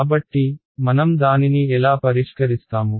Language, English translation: Telugu, So, how do we solve it